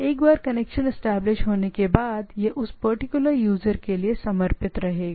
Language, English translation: Hindi, Once established the this is dedicated for this things